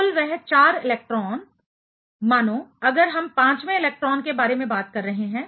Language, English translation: Hindi, Total those 4 electrons; let us say if we are talking about the fifth electron